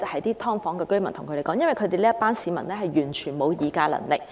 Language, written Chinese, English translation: Cantonese, 而且，這群居於"劏房"的市民完全沒有議價能力。, Moreover this group of people living in subdivided units have absolutely no bargaining power